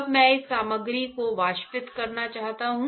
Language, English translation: Hindi, Now, I want to evaporate this material